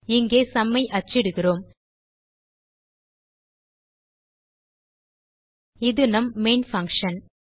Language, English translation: Tamil, Here we print the sum This is our main function